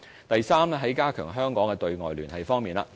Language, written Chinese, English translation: Cantonese, 第三，是加強香港的對外聯繫方面。, Third it is about strengthening the external liaison of Hong Kong